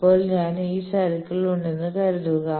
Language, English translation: Malayalam, So, suppose I am on this circle